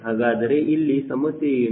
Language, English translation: Kannada, so what is the problem